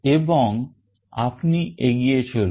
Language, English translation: Bengali, And then you move on